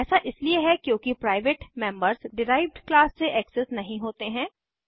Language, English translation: Hindi, This is because the private members are not accessed by the derived class